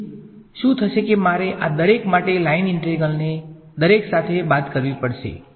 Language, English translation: Gujarati, So, what will happen is that I just have to subtract off the line integrals along each of these things right